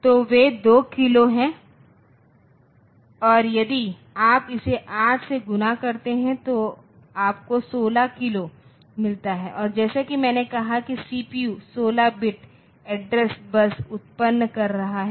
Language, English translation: Hindi, So, they are 2 kilo and if you multiply it by 8 so you get 16 kilo and as I said that the CPU is generating 16 bit address bus